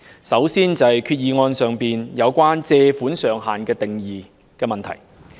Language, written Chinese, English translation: Cantonese, 首先，擬議決議案中有關借款上限的定義有問題。, First the definition of borrowing ceiling in the proposed resolution is defective